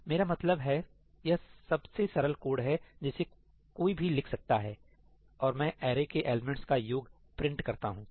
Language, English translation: Hindi, I mean, this is the simplest code that one can write and I print the sum of the array elements